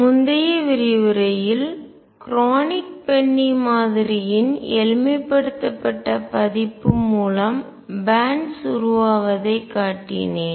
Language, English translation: Tamil, In the previous lecture I showed the raising of bands through a simplified version of Kronig Penny model